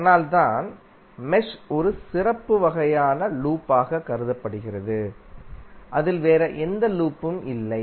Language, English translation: Tamil, So that is why mesh is considered to be a special kind of loop which does not contain any other loop within it